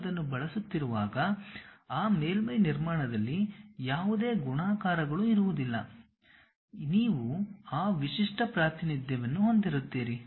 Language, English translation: Kannada, When you are using that, there will not be any multiplicities involved in that surface construction, you will be having that unique representation